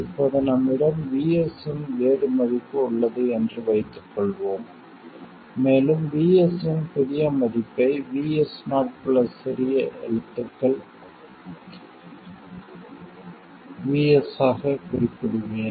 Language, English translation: Tamil, Now let's say that we have a different value of VS and I will represent the new value of VS as VS 0 plus some lowercase VS